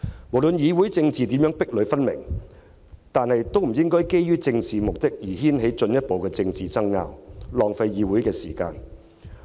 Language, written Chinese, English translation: Cantonese, 不論議會政治如何壁壘分明，我們身為議員也不應該基於政治目的而掀起進一步的政治爭拗，浪費議會時間。, Regardless of the sharp and distinctive division of parliamentary politics we as Members should not provoke further political disputes out of political motives